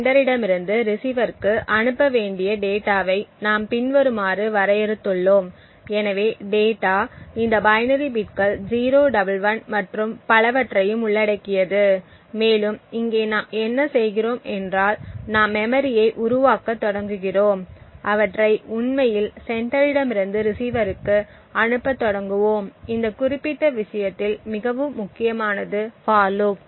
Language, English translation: Tamil, We have defined the data to be transmitted from the sender to the receiver as follows, so the data comprises of this binary bits 011 and so on and what we do over here is that we start to craft memory and start to actually send them from the sender to the receiver, so important in this particular thing is this particular for loop